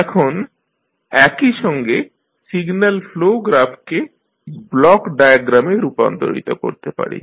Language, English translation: Bengali, Now, at the same time you can transform this signal flow graph into block diagram